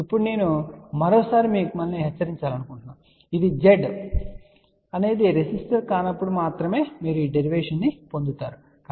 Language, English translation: Telugu, Now, I just want to again warn you one more time this you will get the derivation only when Z is not resistive, ok